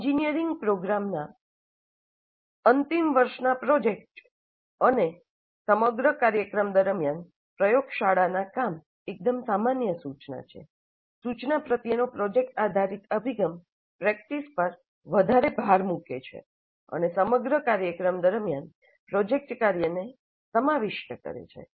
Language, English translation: Gujarati, While the final year project of an engineering program and laboratory work throughout the program are quite common, project based approach to instruction places much greater emphasis on practice and incorporates project work throughout the program